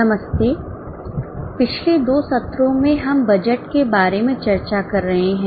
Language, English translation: Hindi, In last two sessions, in last two sessions we have been discussing about budgets